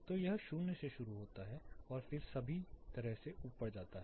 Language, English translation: Hindi, So, this starts from 0 and then goes all the way up to